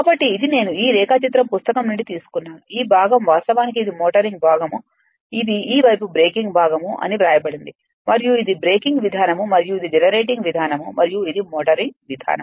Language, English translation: Telugu, So, this is I have taken from a book this diagram, this part actually is a motoring part it is written this side breaking part and this is breaking mode and this is generating more and this is motoring mode